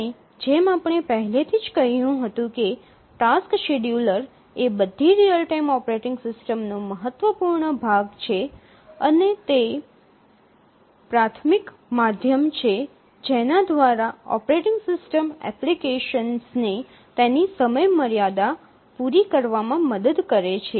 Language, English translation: Gujarati, And we have already said that the task schedulers are important part of all real time operating systems and they are the primary means by which the operating system helps the applications to meet their deadlines